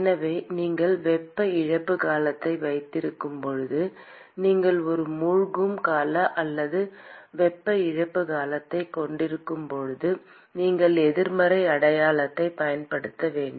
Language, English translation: Tamil, So, when you have a heat loss term, when you have a sink term or heat loss term, then you have to use a negative sign